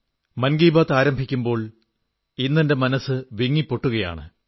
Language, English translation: Malayalam, I begin 'Mann Ki Baat' today with a heavy heart